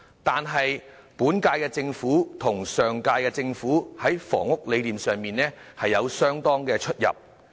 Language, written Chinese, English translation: Cantonese, 但是，本屆政府與上屆政府在房屋理念上有相當的差異。, However the vision on housing of the current - term Government is rather different from that of the last term